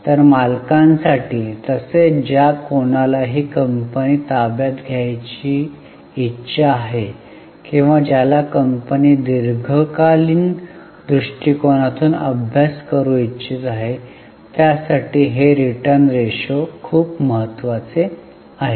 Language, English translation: Marathi, So, these return ratios are very important for owners as well as for anybody who wanting to take over the company or who wants to study the company from a long term angle